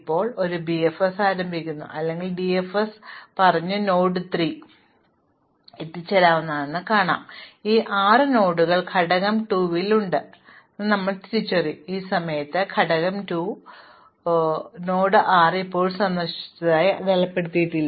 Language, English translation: Malayalam, Now, we start a BFS or a DFS at node 3 and visit everything that we can reach, and in this process we will identify these 6 nodes as being in component 2, at this point node 6 is still not marked visited